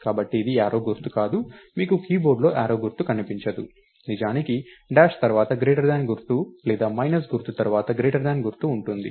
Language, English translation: Telugu, So, its not arrow symbol, you don't see a arrow symbol on the keyboard, its actually a dash followed by the greater than symbol or a minus sign followed by the greater than symbol